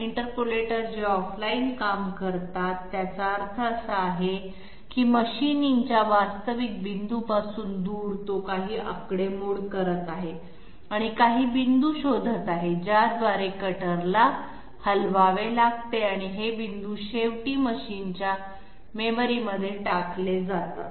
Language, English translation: Marathi, An interpolator which is working off line it means that away from the actual point of machining, it is doing some calculations and finding out some points through which the cutter has to move and these points are then finally dumped to the machine memory